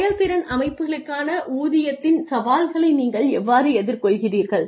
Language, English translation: Tamil, How do you meet the challenges of pay for performance systems